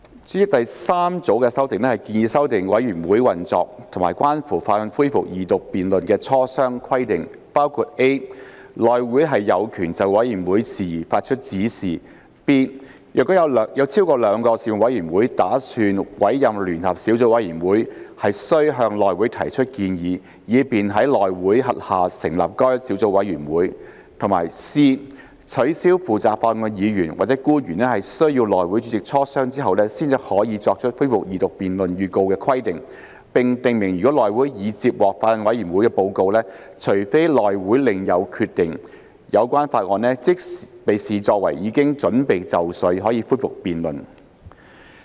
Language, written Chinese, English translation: Cantonese, 主席，第三組的修訂建議修訂委員會運作及關乎法案恢復二讀辯論的磋商規定，包括 ：a 內會有權就委員會事宜發出指示 ；b 若有超過兩個事務委員會打算委任聯合小組委員會，須向內會提出建議，以便在內會轄下成立該小組委員會；以及 c 取消負責法案的議員或官員須與內會主席磋商後才可作出恢復二讀辯論預告的規定，並訂明如內會已接獲法案委員會報告，除非內會另有決定，有關法案即視作已經準備就緒，可以恢復辯論。, a Members returned by the Election Committee and b those returned by functional constituencies and by geographical constituencies through direct elections . President the third group of amendments is proposed to amend the operation of committees and the consultation requirement for the resumption of the Second Reading debate on a bill including a HC has the power to give directions on committee matters; b where more than two Panels wish to appoint a joint subcommittee a proposal shall be made to HC for that subcommittee to be formed under HC; and c to remove the requirement for the Member or public officer in charge of a bill to consult the HC chairman before he gives notice for resumption of the Second Reading debate and to provide that if the report of a Bills Committee has been received by HC unless otherwise decided by HC the bill is regarded as ready for resumption of the Second Reading debate